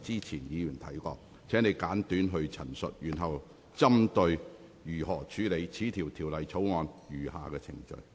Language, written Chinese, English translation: Cantonese, 請你現在針對如何處理《條例草案》的餘下程序發言。, Now please speak on how the remaining proceedings of the Bill should be dealt with